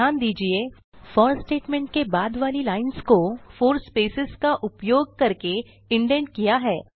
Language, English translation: Hindi, Note that the lines after for statement, is indented using four spaces